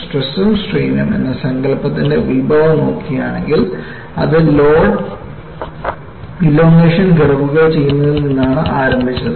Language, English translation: Malayalam, You know, if you look at the genesis of concept of stress as well as strain, it started from performing load elongation curves